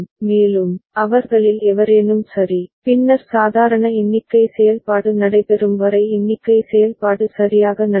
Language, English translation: Tamil, And, any one of them low ok, then the normal count operation will take place up count operation will take place right